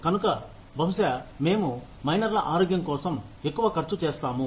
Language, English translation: Telugu, So, maybe, we will spend more on health in a miner